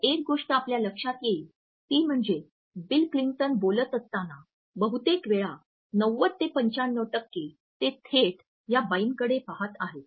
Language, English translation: Marathi, So, the first thing you will notice and throughout this is that probably 90 to 95 percent of the time that bill Clinton is speaking, he is looking directly at this woman